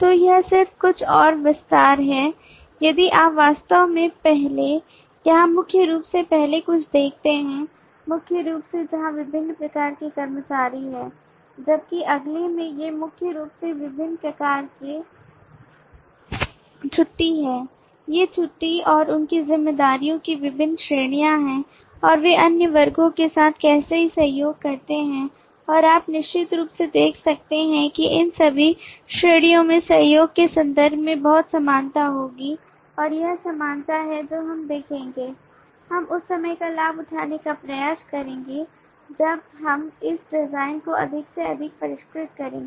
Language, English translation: Hindi, so this is just some more extension if you actually look into the earlier here primarily the first few, primarily where the different kinds of employees whereas in the next these are primarily different types of leave, these are the different categories of leave and their responsibilities and how they collaborate with other classes and you can certainly see that all of these categories will have lot of community in terms of the collaboration and this community is what we will see, we will try to leverage further when we refine that design more and more